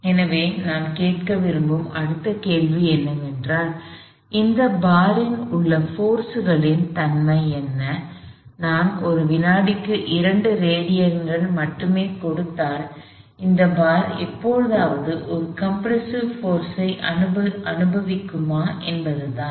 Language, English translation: Tamil, So, the next question we want to ask is, what is the nature of the forces inside this bar as if I get only 2 radians per second in this bar ever experience a compressive force